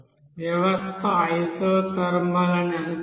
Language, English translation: Telugu, Assume that the system is isothermal